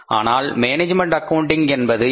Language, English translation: Tamil, And then we talk about the management accounting